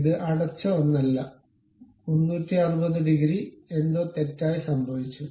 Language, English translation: Malayalam, It is not a closed one, 360 degrees, oh something has happened wrong